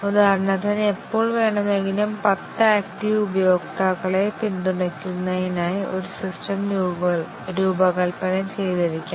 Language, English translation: Malayalam, For example, a system may be designed to support ten active users at any time